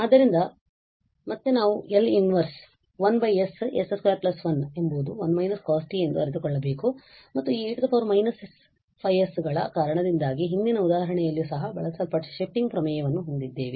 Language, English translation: Kannada, So, again we have to realize that the l inverse over 1 over s s square plus 1 is 1 minus cos t and because of this e power minus 5 s will have the shifting theorem which was used in previous example as well